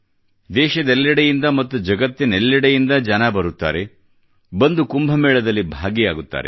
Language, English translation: Kannada, People from all over the country and around the world come and participate in the Kumbh